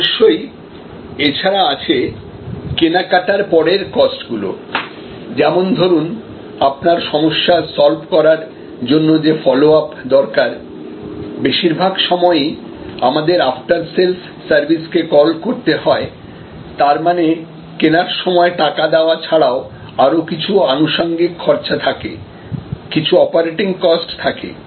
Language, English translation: Bengali, And then, there are of course post purchase cost with respect to follow our problem solving, often we call this after sale service and so on and within money, there is a money paid for the purchase, there are incidental expenses and there are operating costs